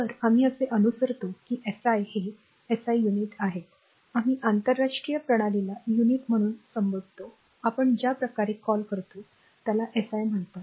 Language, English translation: Marathi, So, we follow that your what you call that SI is SI units, we call international system u of units in sort we call other way we call is SI right